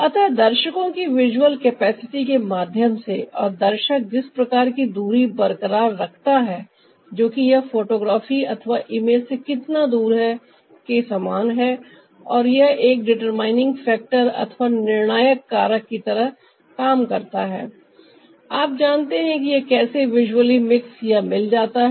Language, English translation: Hindi, so, through the viewers visual capacity and, ah, the kind of distance that the viewer is maintaining, that is like how far it is from the photograph or the image, it, that works as a determinant factor, for you know how visually it gets mixed up